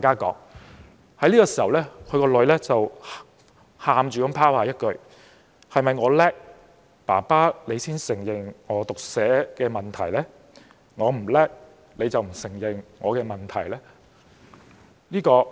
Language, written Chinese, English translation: Cantonese, 這時，他的女兒哭着拋下一句："是否我強，爸爸你才承認我有讀寫問題？我不強，你便不承認我的問題？, At this juncture the daughter burst into tears and said Dad would you admit that I have a problem in reading and writing only if I am strong in mathematics and you wouldnt if I am not?